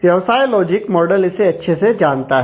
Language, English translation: Hindi, So, the business logic model knows now well